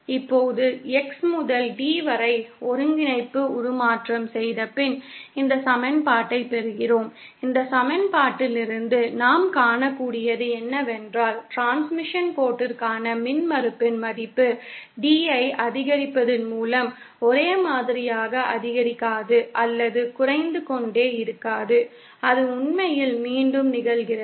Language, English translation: Tamil, Now after doing the coordinate transformation from X to D, we get this equation and we see that from this equation what we can see is that the value of impedance for the transmission line does not keep increasing or decreasing monotonically with increasing D, it actually repeats because the Tan function actually repeats itself